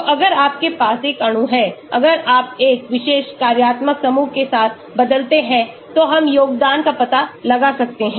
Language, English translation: Hindi, So, if you have a molecule if you substitute with a particular functional group we can find out the contribution